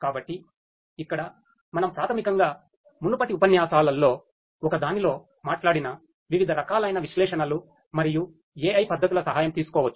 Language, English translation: Telugu, So, this is where basically we can take help of the different types of analytics and AI techniques that we talked about in one of the previous lectures